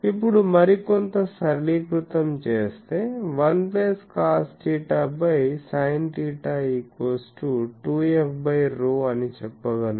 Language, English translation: Telugu, Now, some more algebraic manipulation so, I can say 1 plus cos theta by sin theta is 2 f by rho